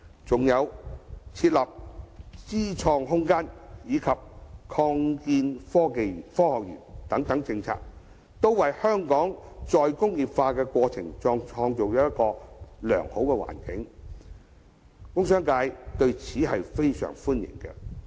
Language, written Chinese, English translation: Cantonese, 再者，設立"知創空間"及擴建科學園等政策，均為香港再工業化創造良好的環境，工商界對此極表歡迎。, Besides policies such as establishing the Inno Space and expanding the Science Park aim at creating a favourable environment for the re - industrialization of Hong Kong . The commercial and industrial sectors welcome such initiatives